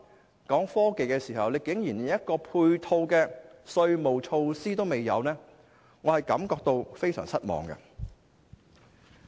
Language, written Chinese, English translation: Cantonese, 現在談到創新科技，政府竟然連配套稅務措施也沒有，令我感到非常失望。, Regarding innovation and technology the Government unexpectedly does not have any supporting tax measures which made me very disappointed